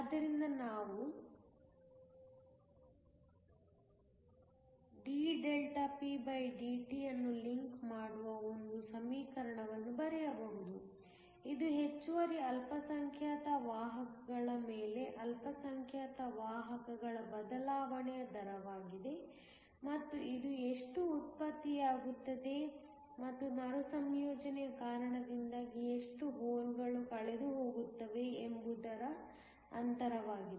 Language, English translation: Kannada, So, we can write an equation that links dpdt, which is the rate of change of the minority carriers on the excess minority carriers which is equal to how many that are generated minus how many holes that are lost due to recombination